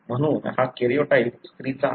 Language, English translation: Marathi, Therefore, this karyotype is that of a female